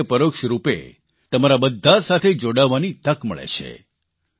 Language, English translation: Gujarati, In a way, indirectly, I get an opportunity to connect with you all